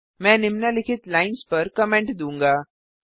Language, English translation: Hindi, I will comment out the following lines